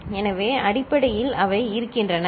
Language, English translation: Tamil, So, basically they do remain, ok